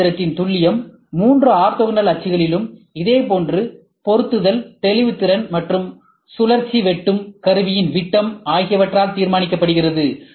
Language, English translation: Tamil, The accuracy of a CNC machine on the other hand is normally determined by similar positioning resolutions along all three orthogonal axes and by the diameter of the rotational cutting tool